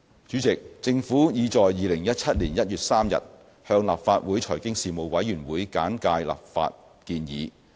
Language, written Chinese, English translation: Cantonese, 主席，政府已在2017年1月3日向立法會財經事務委員會簡介立法建議。, President the Government briefed the Panel on Financial Affairs of the Legislative Council on 3 January 2017 on the legislative proposal